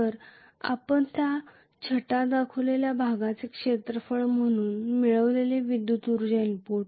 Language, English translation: Marathi, So the electrical energy input we have accounted for as the area across that shaded portion